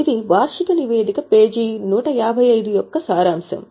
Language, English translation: Telugu, These are excerpt from the annual report page 155